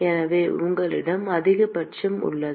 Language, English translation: Tamil, So, you have a maxima